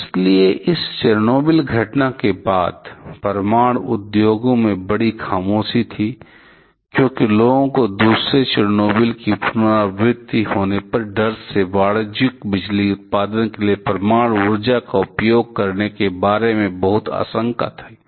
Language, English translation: Hindi, So, following this Chernobyl incident, there was a huge lull in the nuclear industry as people have very much apprehensive about using nuclear power for commercial power generation just with the fear of having the repeat of another Chernobyl